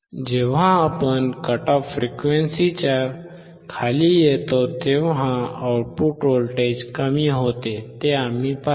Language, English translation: Marathi, We observed that the output voltage decreases when we come below the cut off frequency